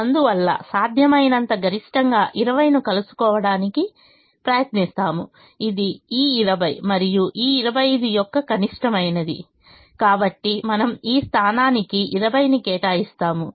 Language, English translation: Telugu, therefore we try to meet the maximum possible, which is twenty, which is the minimum of this twenty and this twenty five